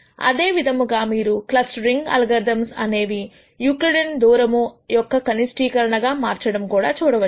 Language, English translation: Telugu, Similarly in clustering algorithms you would see that clustering algorithms would turn out to be minimization of a Euclidean distance now